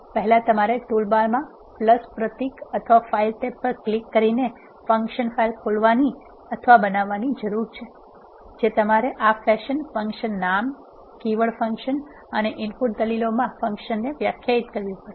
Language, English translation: Gujarati, First we need to open or create a function file by clicking a that the plus symbol or file tab in the toolbar you have to define the function in this fashion function name, keyword function and the input arguments